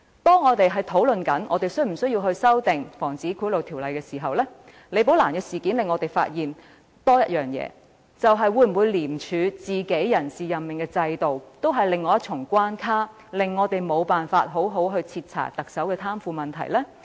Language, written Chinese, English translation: Cantonese, 當我們討論是否需要修訂《防止賄賂條例》時，李寶蘭事件令我們有多一重發現：廉署內部的人事任命制度會否構成另一重關卡，令我們無法好好徹查特首的貪腐問題？, When a discussion is conducted on whether there is a need to amend the POBO the Rebecca LI incident has shed a little more light on the issues involved . Will the internal personnel appointment system of ICAC set up another hurdle to prevent us from conducting a thorough investigation of the alleged corruption of the Chief Executive?